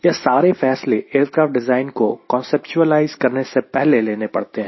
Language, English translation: Hindi, these are the primary decision you take before you start conceptualizing a design of an aircraft